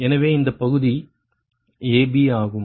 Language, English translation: Tamil, so this part is a b